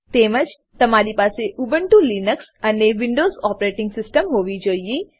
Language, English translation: Gujarati, You must have Ubuntu Linux and Windows Operating System